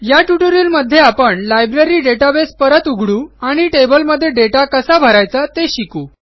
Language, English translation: Marathi, In this tutorial, we will resume with the Library database and learn how to add data to a table